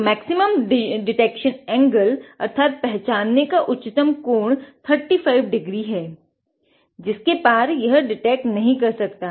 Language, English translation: Hindi, So, there is a maximum detection angle that is 35 degree beyond which it cannot detect that is it